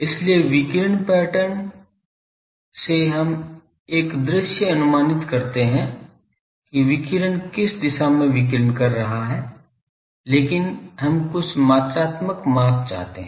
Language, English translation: Hindi, So, from radiation pattern we give a visual estimate that how the radiation in which direction radiation is taking place , but we want some quantifying measure